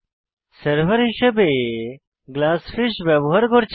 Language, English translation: Bengali, We are using Glassfish as our server